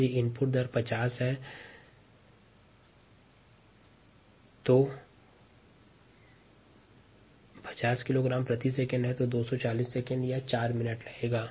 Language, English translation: Hindi, if the input rate is fifty kilogram per second, the time would be two forty seconds or four minutes